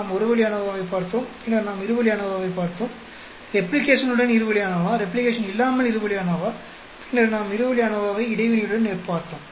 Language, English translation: Tamil, We looked at one way ANOVA, then we looked at two way ANOVA, two way ANOVA with replication, without replication, then we looked at two way ANOVA with interaction